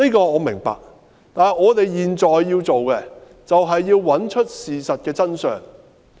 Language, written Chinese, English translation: Cantonese, 我明白這一點，但我們現在要做的，是要找出事情的真相。, I understand this yet what we need to do now is to find out the truth of the incident